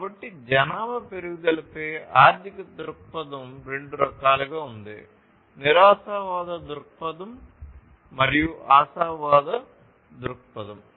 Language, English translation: Telugu, So, economic view on the population growth can be of two types: pessimistic view and optimistic view